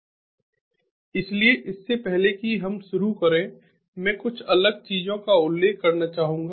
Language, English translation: Hindi, so before we start, i would like to mention a few different things